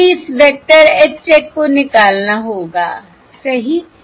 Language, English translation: Hindi, Let us call this vector as your H check plus this is V check